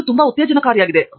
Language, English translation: Kannada, this is very exciting